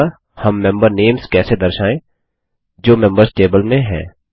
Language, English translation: Hindi, So how do we display member names, which are in the members table